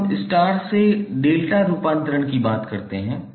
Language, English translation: Hindi, Now, let us talk about star to delta conversion